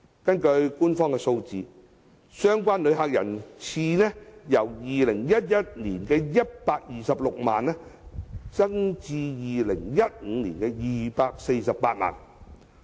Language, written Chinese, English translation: Cantonese, 根據官方數字，相關旅客人次由2011年的126萬，增至2015年的248萬。, According to official statistics the number of visitors concerned had increased from 1.26 million in 2011 to 2.48 million in 2015